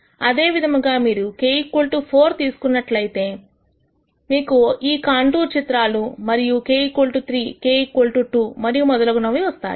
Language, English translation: Telugu, Similarly if you say k equal to 4 you will get this contour plot and k equal to 3, k equal to 2 and so on